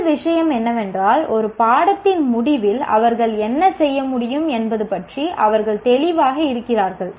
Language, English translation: Tamil, First thing is they are clear about what they should be able to do at the end of a course